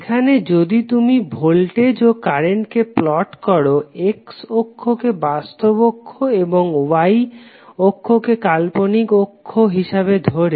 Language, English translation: Bengali, Here, if you plot the voltage and current on the jet plane image with real axis on x axis and imaginary on the y axis